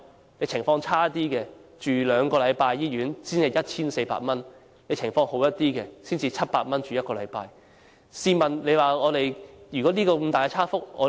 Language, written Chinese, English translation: Cantonese, 如果情況較差，要留院兩個星期，只須支付 1,400 元；若情況較好，只須留院1個星期，則僅須支付700元。, If his condition is poor and he needs hospitalization for two weeks he will have to pay only 1,400 . If his condition is fine and he needs hospitalization for just a week he will have to pay only 700